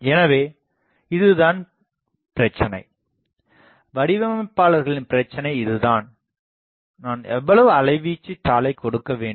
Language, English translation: Tamil, So, now this is the problem, this is the designers problem that how much amplitude taper I will have to give